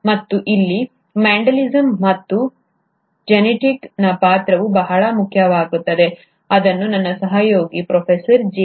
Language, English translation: Kannada, And this is where the role of Mendelism and Mendel’s genetics becomes very important, which will be covered by my colleague, Professor G